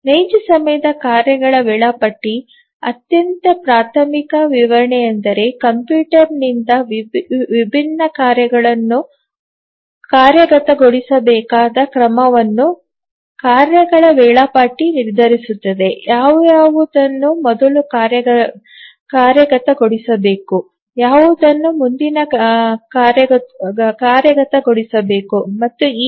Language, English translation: Kannada, The most elementary description we'll say that the task scheduler decides on the order in which the different tasks to be executed by the computer, which were to be executed first, which one to be executed next, and so on